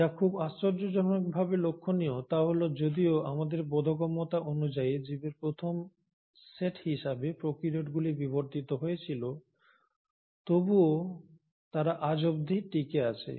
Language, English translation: Bengali, And what is intriguing and rather perplexing is to note that though prokaryotes evolved and were the first set of organisms as of our understanding today to evolve, they have continued to survive till the present day today